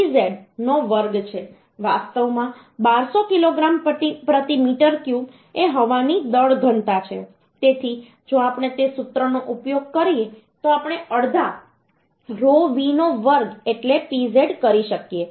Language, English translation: Gujarati, 6vz square actually 1200 kg per meter cube is the mass density of the air so if we use that formula then we half v square so pz we can find out 0